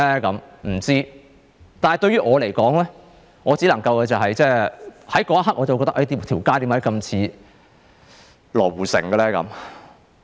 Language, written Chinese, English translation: Cantonese, 我不知道，但對於我來說，我在那一刻會感到，為何這街道那麼像羅湖城？, I do not know . But at that moment the new city look makes me feel like being in the Luo Hu Commercial City